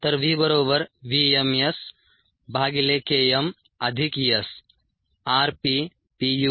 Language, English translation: Marathi, so v equals v m s by k m plus s